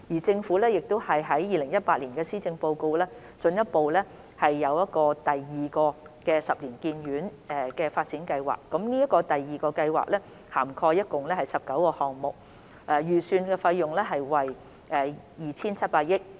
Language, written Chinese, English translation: Cantonese, 政府於2018年施政報告進一步宣布第二個十年醫院發展計劃，該計劃涵蓋共19個項目，預算費用為 2,700 億元。, In the 2018 Policy Address the Government further announced the Second Ten - year HDP which covered a total of 19 projects for a budget of 270 billion